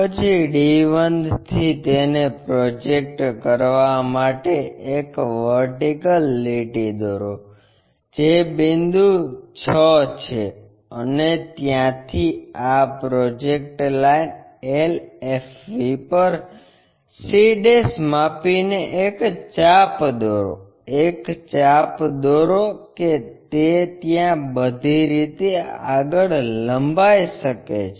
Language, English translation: Gujarati, Then from d 1 draw a vertical line all the way up to project it, which is point 6; and from there draw an arc by measuring c' to this projected line LFV, draw an arc, it can be extended all the way there